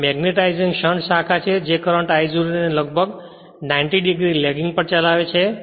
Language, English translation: Gujarati, And this I told you magnetizing shunt branch which draws current I 0 at almost 90 degree lagging